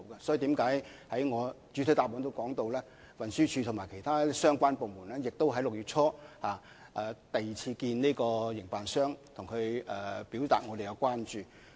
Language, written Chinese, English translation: Cantonese, 所以，我已在主體答覆中提到，運輸署及其他相關部門已在6月初與營辦商進行第二次會面，表達我們的關注。, Hence as mentioned in the main reply TD and other relevant government departments already met with the operator again in early June to express our concern